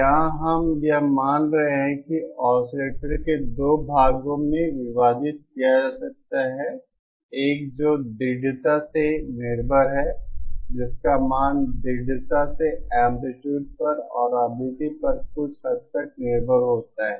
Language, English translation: Hindi, Here we are assuming that this oscillator can be divided into two parts; one which is strongly dependent, whose value is strongly dependent on amplitude and to a lesser extent on frequency